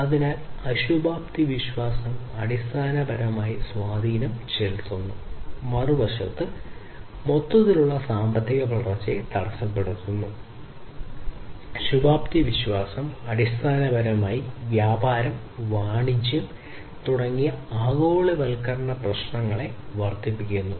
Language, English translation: Malayalam, So, pessimistic view basically effects, hinders the overall economic growth, on the other hand, and the optimistic view on the other hand, basically, increases the globalization issues such as trade and commerce